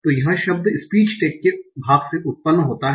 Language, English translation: Hindi, So the word is generated from the part of speech tax